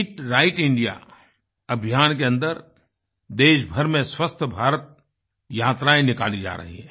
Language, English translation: Hindi, Under the aegis of "Eat Right India" campaign, 'Swasth Bharat' trips are being carried out across the country